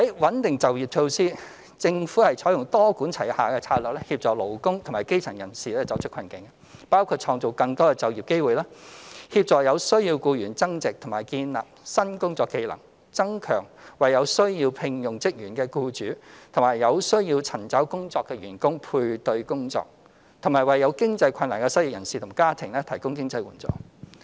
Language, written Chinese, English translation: Cantonese, 穩定就業措施政府採用多管齊下的策略協助勞工及基層人士走出困境，包括創造更多就業機會、協助有需要僱員增值或建立新工作技能、增強為有需要聘用職員的僱主與有需要尋找工作的員工配對工作，以及為有經濟困難的失業人士及其家庭提供經濟援助。, Measures for stabilizing employment The Government adopts a multi - pronged approach to help workers and the grass roots break away from their hardships . Our measures include creating more employment opportunities helping employees in need upgrade themselves or develop new job skills strengthening job matching service for employers and job - seekers and providing financial assistance to the unemployed and their families in financial difficulties